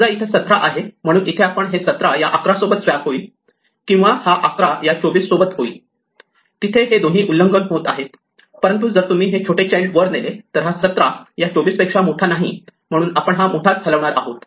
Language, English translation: Marathi, Suppose, this had been 17 here then we could swapped 11 with 17 here or 11 with 24, both violations are there, but if you move this smaller child up then 17 will not be bigger than 24, so we move the largest one